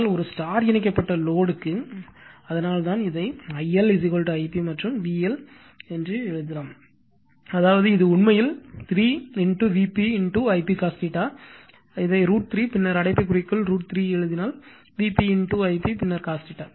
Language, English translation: Tamil, So, there is that is why for a star connected load that is why this one it can be written as your I L is equal to I p and V L is equal to that means, it is actually it is 3 V p I p cos theta, this can be written as root 3, then in bracket you write your root 3 your what you call V p right into I p then cos theta